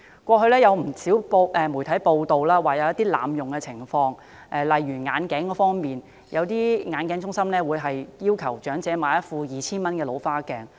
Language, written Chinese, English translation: Cantonese, 過去，不時有媒體報道濫用醫療券的情況，例如有些眼鏡中心會要求長者買一副 2,000 元的老花眼鏡。, It has been reported by the media from time to time the abuse of vouchers like optical companies asking elderly people to buy reading glasses costing as high as 2,000